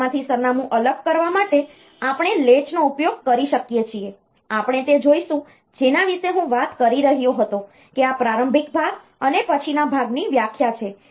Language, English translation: Gujarati, In order to separate address from data we can use a latch we will see that is what I was talking about that this is the definition of early part and later part